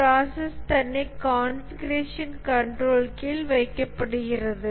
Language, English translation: Tamil, The process itself is put under configuration control